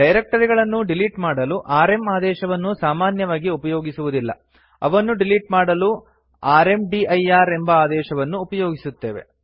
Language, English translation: Kannada, rm command is not normally used for deleting directories, for that we have the rmdir command